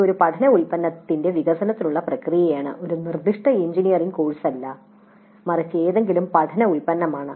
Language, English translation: Malayalam, This is a process for development of a learning product, not necessarily a specific engineering course but any learning product